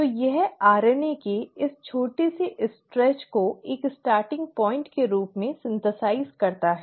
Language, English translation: Hindi, So it synthesises this small stretch of RNA as a starting point